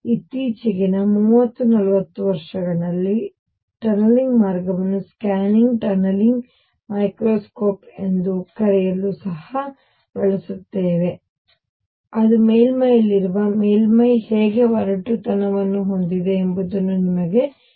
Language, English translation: Kannada, Number 2 more recently with in past 30, 40 years tunneling has also been used to make something call the scanning, tunneling microscope that actually gives you how a surface where is on our surface has roughness